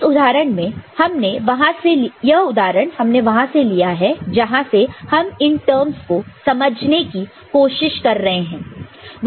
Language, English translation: Hindi, In this specific example that we have taken from which we are trying to understand this terms it is 0